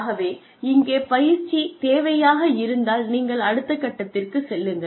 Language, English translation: Tamil, So here, if the training need exists, then you move on to the next step